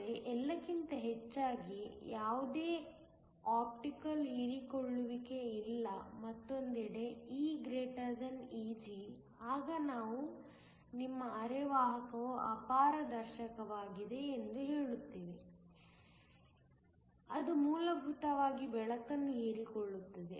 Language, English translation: Kannada, But, over all there is no optical absorption percent, on the other hand if E > Eg then we say that your semiconductor is opaque, it will essentially absorb the light